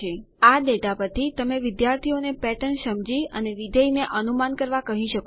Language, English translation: Gujarati, From this data you can ask the students to understand the pattern and predict the function